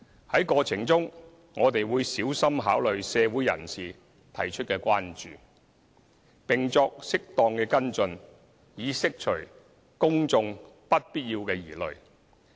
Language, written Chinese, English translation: Cantonese, 在過程中，我們會小心考慮社會人士提出的關注，並作適當的跟進，以釋除公眾不必要的疑慮。, During the process we will carefully consider issues of concern raised by citizens and take follow - up actions as appropriate to allay unnecessary concerns of the public